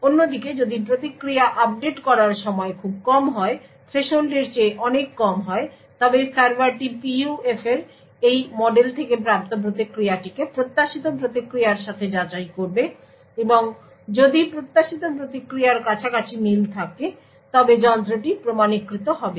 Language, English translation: Bengali, On the other hand, if the time to update the response is very short much lesser than the threshold then the server would validate the response with the expected response obtained from this model of the PUF, and if the match is quite closed to this to the expected response than the device would get authenticated